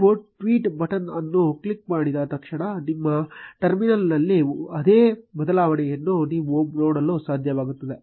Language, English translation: Kannada, As soon as you click on the tweet button, you will be able to see the same change in your terminal